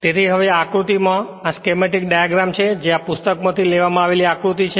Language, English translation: Gujarati, So, now, this is a schematic diagram this figure I am taken from a book right